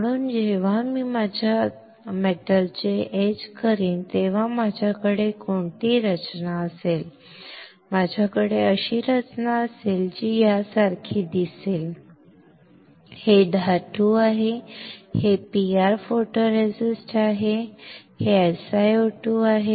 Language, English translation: Marathi, So, when I etch my metal what structure will I have, I will have structure which will look like this, right this is metal, this is PR photoresist, this is my SiO2